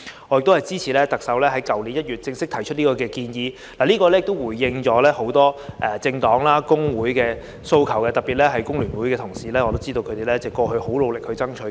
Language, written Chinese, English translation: Cantonese, 我們支持特首在去年1月正式提出這項建議，因為這項建議回應了很多政黨和工會的訴求，特別是對於工聯會的同事，我也知道他們過去很努力爭取。, We support the Chief Executives move to formally put forward this proposal in January last year because it has responded to the demands of many political parties and trade unions . This is particularly significant to the fellow colleagues of FTU because I know they have been fighting so hard in the past for the alignment